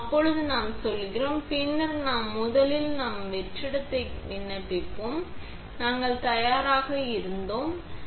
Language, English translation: Tamil, There we go; and then we will, first we will apply vacuum, tells us that we were ready